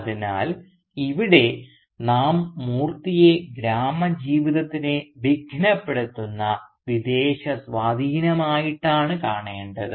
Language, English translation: Malayalam, So, here again we see Moorthy to be a disruptive and even foreign influence in the village life